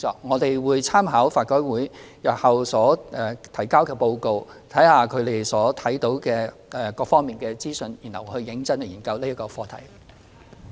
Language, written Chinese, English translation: Cantonese, 我們會參考法改會日後提交的報告，審視所得的各方資訊，然後認真研究這課題。, We will make reference to the report to be submitted by LRC carefully look at the information obtained from various parties and then seriously consider the subject